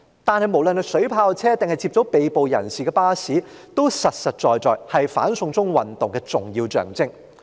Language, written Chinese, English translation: Cantonese, 但不論是水炮車還是接載被捕人士的巴士，實在也是"反送中"運動的重要象徵。, Nevertheless be it water cannon vehicles or buses for transporting the arrested they are the telling symbols of the anti - extradition to China movement